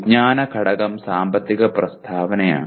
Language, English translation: Malayalam, The knowledge element is financial statement